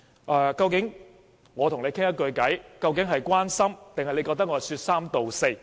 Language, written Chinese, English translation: Cantonese, 我跟你說一句話，究竟是關心還是你會覺得我是說三道四？, Suppose I said something to you . Would you take it as an expression of concern or an irresponsible comment?